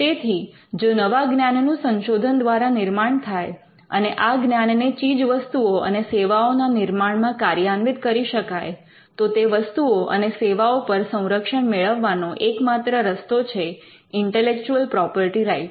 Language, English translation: Gujarati, So, if new knowledge is created through research and if that new knowledge is applied into the creation of products and services, the only way you can protect them is by intellectual property rights